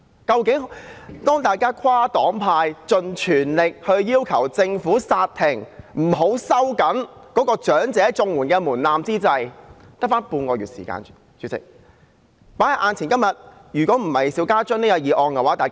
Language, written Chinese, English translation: Cantonese, 當大家跨黨派、盡全力要求政府煞停這措施，不要收緊申請長者綜合社會保障援助的門檻之際，主席，現在只餘下半個月時間。, While we are making an all - out cross - party effort to call on the Government to call a halt to this measure and not to tighten the application threshold for elderly Comprehensive Social Security Assistance CSSA at this moment President there is just half a month left now